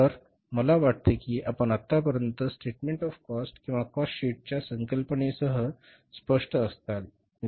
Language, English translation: Marathi, So, I think you must be clear by now with the concept of the statement of the cost for the cost sheet